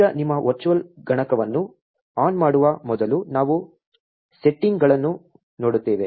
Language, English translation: Kannada, Now, just before you power on your virtual machine we will just have a look at the settings